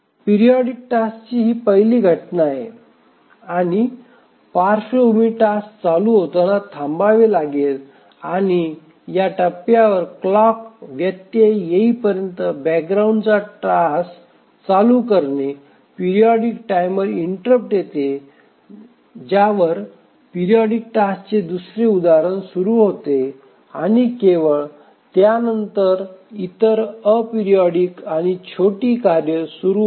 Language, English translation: Marathi, So this is the first instance of the periodic task and as it started running, the background tasks are to wait and after its completion at this point the background tasks start running until the clock interrupt comes the periodic timer interrupt at which the second instance of the periodic task starts running and it completes only then the other a periodic and sporadic tasks start running